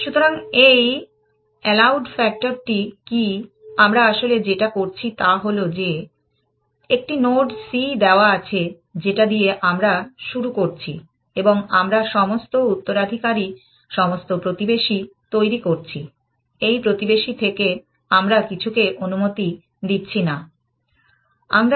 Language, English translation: Bengali, So, what with this allowed factor, what we are really doing is that, given a node c that we start with, we generate all the successors, all the neighbors, from this neighbor we disallow some